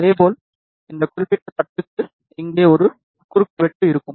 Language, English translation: Tamil, Similarly, for this particular plate, there will be a cross over here